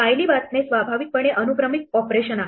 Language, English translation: Marathi, Reading files is inherently a sequential operation